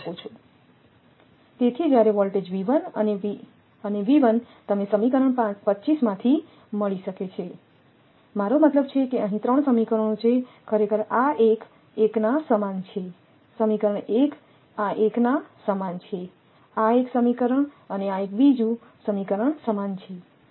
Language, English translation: Gujarati, So, when voltage V 1 and V 2 can be found from your from equation 25, I mean there are here there are 3 equations actually this one is equal to this one; one equation this one is equal to this one; one equation and this is one is equal to this one another equation right